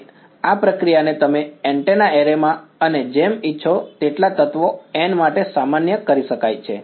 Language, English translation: Gujarati, And this procedure can be generalized to N as many elements as you want in a and like an antenna array